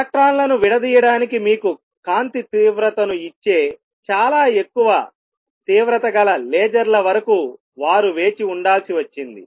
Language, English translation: Telugu, They had to wait till very high intensity lasers who were invented that give you intensity of light to diffract electrons